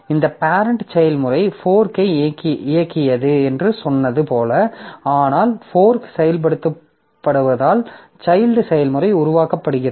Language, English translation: Tamil, As I said that this parent process is there which executed the fork but due to the execution of fork the child process is created